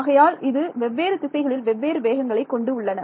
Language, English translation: Tamil, So, this is so, different directions different speeds